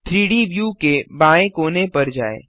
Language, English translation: Hindi, Go to the left hand corner of the 3D view